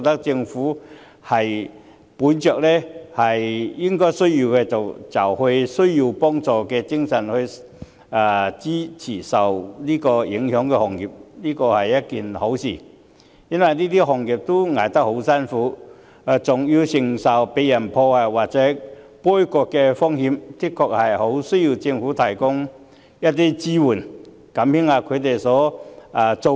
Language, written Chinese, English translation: Cantonese, 政府本着有需要就幫助的精神來支持受影響的行業，我覺得是一件好事，因為這些行業艱苦經營，還要承受被人破壞或杯葛的風險，的確很需要政府提供支援，減輕一下他們的擔子。, Upholding the principle of helping those in need the Government provides support to the affected industries and this is good . These industries which are already operating with difficulties face further risks of getting vandalized or boycotted . They are in dire need of support from the Government to lighten their burden